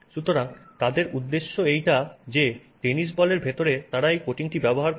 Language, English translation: Bengali, So, inside the tennis ball they use this coating